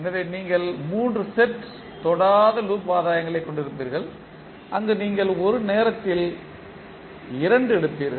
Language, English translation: Tamil, So you will have 3 sets of non touching loop gains where you will take two at a time